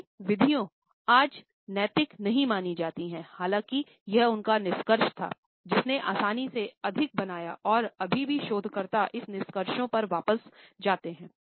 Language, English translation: Hindi, His methods today cannot be considered ethical; however, it was his findings which created more on ease and is still researchers go back to these findings